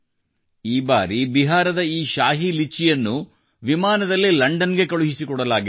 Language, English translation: Kannada, This time the Shahi Litchi of Bihar has also been sent to London by air